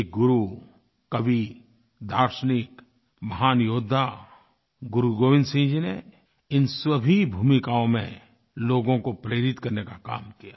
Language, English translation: Hindi, A guru, a poet, a philosopher, a great warrior, Guru Gobind Singh ji, in all these roles, performed the great task of inspiring people